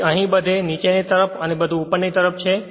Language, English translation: Gujarati, So, the here every where downward everywhere it is upward